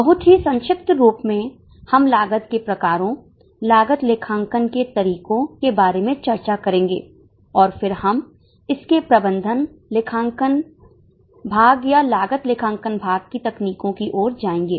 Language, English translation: Hindi, In very, very brief, we will discuss about the types of costs, the methods of cost accounting, and then we will go to management accounting part of it or the techniques of cost accounting part